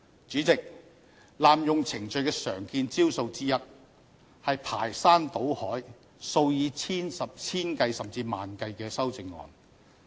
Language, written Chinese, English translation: Cantonese, 主席，濫用程序的常見招數之一，是提出排山倒海、數以千計甚至萬計的修正案。, President another common procedural abuse is to propose a multitude or thousands or even tens of thousands of amendments